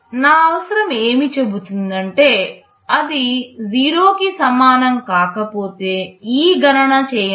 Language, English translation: Telugu, My requirement says if it is not equal to 0, then do this calculation